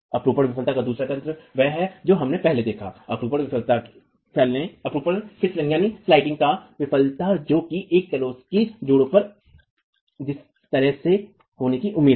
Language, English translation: Hindi, The second mechanism of shear failure is what we have seen earlier, the shear sliding failure, which is expected to occur at a bed joint